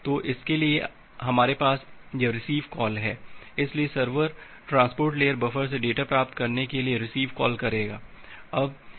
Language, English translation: Hindi, So, for that we have this receive call, so the server will make a receive call to receive the data from the transport layer buffer